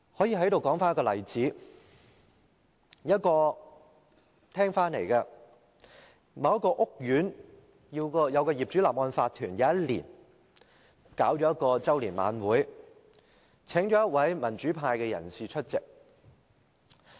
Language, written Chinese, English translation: Cantonese, 有一年，某一個屋苑的業主立案法團舉行周年晚會，邀請一位民主派人士出席。, In a certain year the owners corporation of a certain residential estate invited a democrat to attend its annual dinner